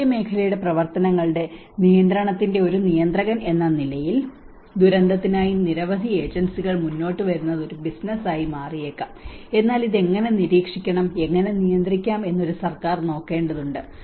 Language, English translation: Malayalam, As a regulators for the control dimension of it where of private sector activity because many agencies come forward for disaster maybe it becomes a business, but a government has to look at how to monitor, how to control this